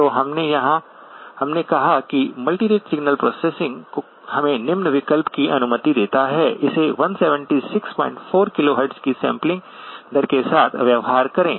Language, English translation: Hindi, So we said that multirate signal processing allows us the following option, treat it with sampling rate of 176 point 4 KHz